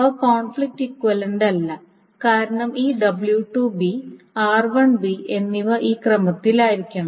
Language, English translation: Malayalam, So these are not conflict equivalent just to highlight because this W2B and R1B must be in this order